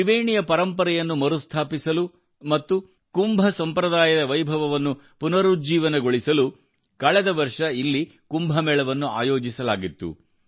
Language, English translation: Kannada, Kumbh Mela was organized here last year to restore the cultural heritage of Tribeni and revive the glory of Kumbh tradition